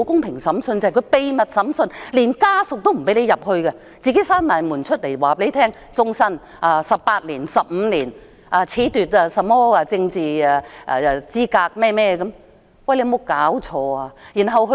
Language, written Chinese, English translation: Cantonese, 便是秘密審訊，連家屬也不准進入法院，閉門審訊，然後宣布終身監禁、囚18年、15年、褫奪政治資格等，有沒有搞錯？, It means that trials are held behind closed doors and not even family members are allowed to go inside the court . The accused would be sentenced to life imprisonment of imprisonment for 15 years or 18 years and deprived of their political rights . How could this happen?